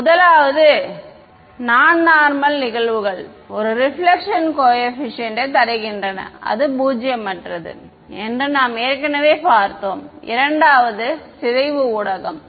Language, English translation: Tamil, The first is of course that non normal incidence gives a reflection coefficient that is non zero we already saw that and the second is lossy mediums ok